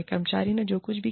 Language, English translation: Hindi, The employee did, whatever she or he did